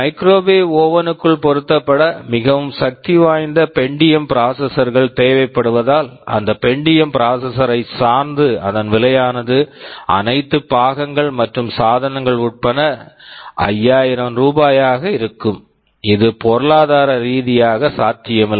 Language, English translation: Tamil, Now if I say that I need a very powerful Pentium processor to be sitting inside a microwave oven, the price of that Pentium processor itself will be 5000 rupees including all accessories and peripherals, then this will be economically not viable